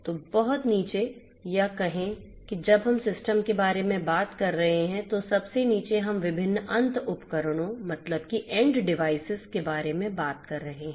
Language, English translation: Hindi, So, at the very bottom or let us say that at you know when we are talking about the system as a whole at the very bottom we are talking about different end devices; different end devices